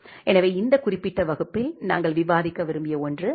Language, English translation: Tamil, So, that is something we wanted to discuss in this particular class